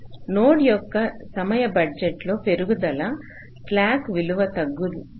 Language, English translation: Telugu, ok, so increase in the time budget of a node will also cause a decrease in the slack value